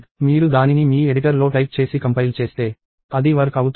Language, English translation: Telugu, If you type it in your editor and compile, it should work